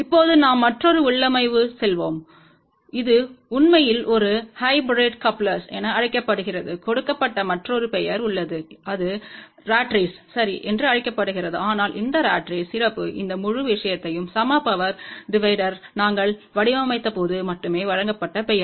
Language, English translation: Tamil, Now, we will go to the another configuration, this is actually known as a hybrid coupler and there is a another name given, which is known as a rat race ok, but this ratrace is the special name only given when we designed this whole thing for equal power division